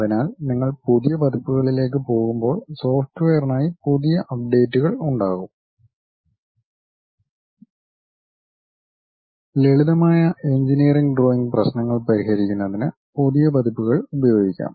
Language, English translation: Malayalam, So, when you are going for new versions, new updates will be there for the software still the older versions work for practicing the simple engineering drawing problems